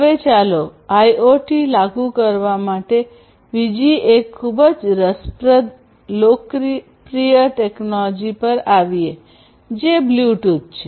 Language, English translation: Gujarati, Now, let us come to another very interesting popular technology for implementing IoT which is the Bluetooth